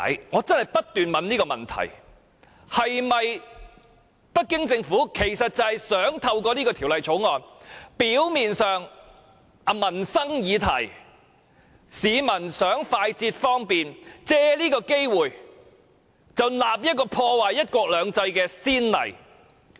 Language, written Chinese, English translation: Cantonese, 我不斷問自己，是否北京政府想透過這項《條例草案》，借這個表面上是市民想更快捷方便的民生議題，開立破壞"一國兩制"的先例？, I kept asking myself whether it is the intent of the Beijing Government to make use of this Bill which appears to deal with a livelihood issue of providing more speedy and convenient service to set a precedent of ruining one country two systems?